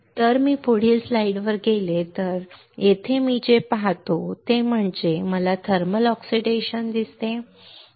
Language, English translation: Marathi, So, if I go to the next slide what I see here is first is I see a thermal oxidation